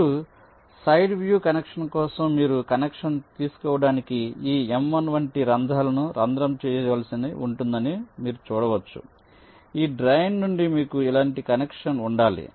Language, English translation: Telugu, now, side view, you can see that for connection you need to drill holes like this m one to take connection, you have to have a connection like this from this drain